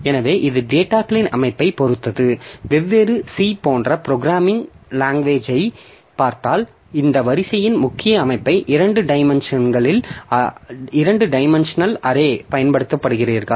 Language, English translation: Tamil, If you look into different programming languages, so this, if you look into programming language like C, so they use this row major organization of this array, two dimensional array